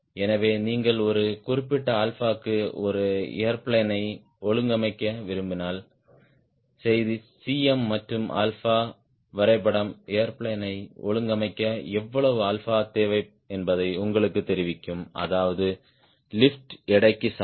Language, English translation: Tamil, so message was: if you really want to trim an airplane for a particular alpha, cm versus alpha graph will tell you how much alpha is required to trim the airplane such that lift is equal to weight